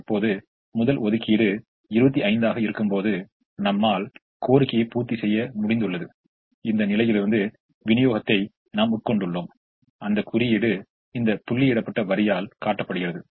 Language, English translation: Tamil, now, when the first allocation is twenty five, we have met the entirely, we have met the demand of, we have, we have consumed the supply from this position and that is shown by this dotted line